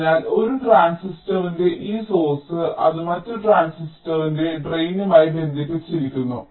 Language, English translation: Malayalam, so this source of one transistor, it is connected to the drain of the other transistor and this channel is formed on the diffusion layer